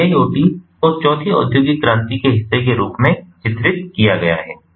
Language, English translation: Hindi, so iiot is featured as part of the fourth industrial revolution